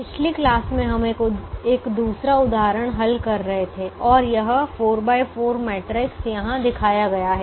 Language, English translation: Hindi, in the last class we were solving a second example and this four by four matrix is shown here